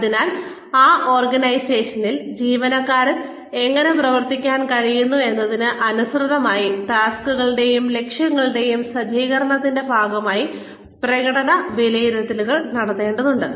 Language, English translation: Malayalam, So, performance appraisals needs to be, made a part of the setting of tasks and objectives, in line with, how the employee has been able to perform within that organization